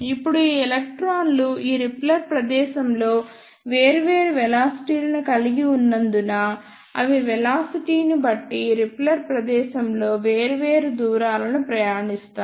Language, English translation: Telugu, Now, since these electrons have different velocities in this repeller space, so they will travel different distances in the repeller space depending upon the velocities